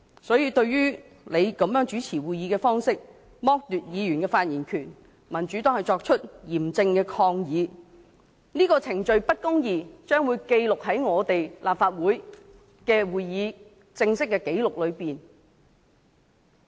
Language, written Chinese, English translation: Cantonese, 所以，對於你這種主持會議的方式，剝奪議員的發言權，民主黨作出嚴正抗議，這個程序不公義，將會記錄在立法會會議過程正式紀錄裏。, Hence the Democratic Party voices our stern protest against your way of chairing the meetings and depriving Members of their right to speak . This kind of procedural injustice will be recorded in the Official Record of Proceedings of the Legislative Council